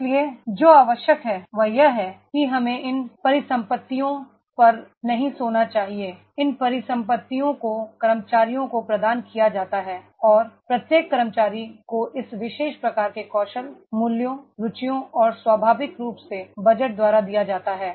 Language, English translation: Hindi, So what is required is that is we should not sleep on these assets, these assets are provided employees are provided and every employee has given by this particular type of the skills, values, interest and naturally by the budget is there